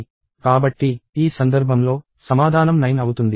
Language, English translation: Telugu, So, in this case, the submission is 9